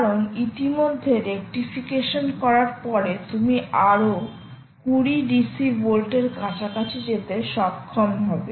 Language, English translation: Bengali, because already, just after rectification, you are able to get close to plus twenty volts